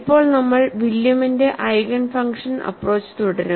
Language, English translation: Malayalam, Now, we will continue with William's Eigen function approach